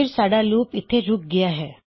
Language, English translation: Punjabi, So, our loop here has stopped